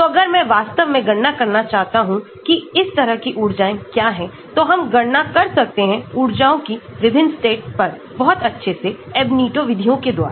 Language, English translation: Hindi, So, if I want to really calculate what are the energies like this, so we can calculate energies at these various states very accurately using Ab initio methods